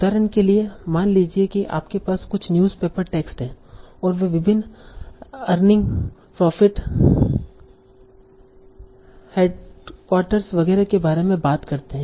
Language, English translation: Hindi, So for example, suppose you have some newspaper text and they talk about various earnings, profit, headquarters, etc